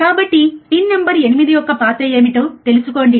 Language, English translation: Telugu, So, find it out what is the role of pin number 8, alright